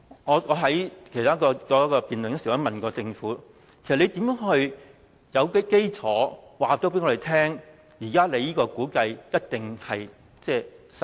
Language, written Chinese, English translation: Cantonese, 我之前曾問政府，如何訂定基礎？它現在的估計一定能實現？, I asked the Government earlier how the basis was set and how the estimates would turn out as it expected